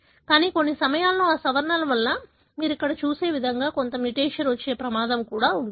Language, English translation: Telugu, But, at times that modification can also put a risk, risk of having some mutation like what you see here